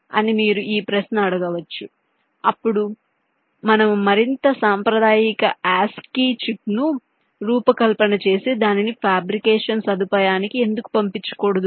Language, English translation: Telugu, why dont we design and develop a more conventional as a chip and send it to the fabrication facility